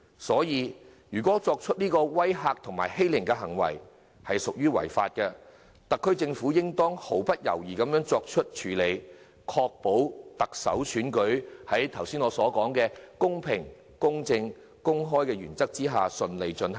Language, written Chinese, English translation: Cantonese, 因此，如果作出威嚇及欺凌的作為屬於違法，特區政府便應毫不猶疑的處理，確保特首選舉在我剛才所說的公平、公正、公開的原則下順利進行。, Hence if acts of threatening or bullying are against the law the SAR Government should take actions without hesitation so as to ensure that the Chief Executive Election will be conducted smoothly under the aforesaid principles of fairness equity and openness